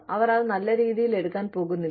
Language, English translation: Malayalam, They do not take benefit of it